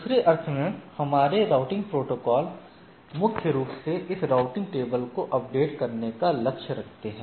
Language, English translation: Hindi, So, in other sense what we see that our routing protocols primarily aims at updating this routing table or sometimes called forwarding table